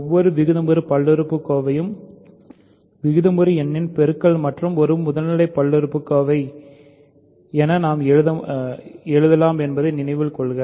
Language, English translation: Tamil, Remember we can write every rational polynomial as a product of rational number and a primitive polynomial